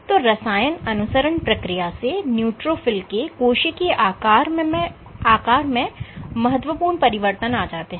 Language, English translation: Hindi, So, this chemotaxis involves significant changes in cell shape of the neutrophil